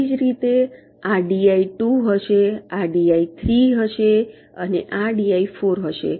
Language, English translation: Gujarati, similarly, this will be d i two, this will be d i three and this will be d i four